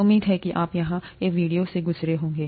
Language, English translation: Hindi, Hopefully you have gone through the videos here